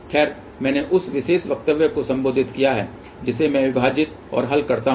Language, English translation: Hindi, Well, I have modified that particular statement I say divide and solve